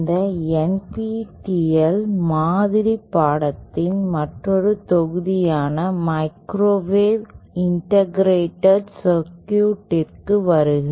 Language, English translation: Tamil, welcome to another module of this NPTEL mock course ÔMicrowave Integrated CircuitsÕ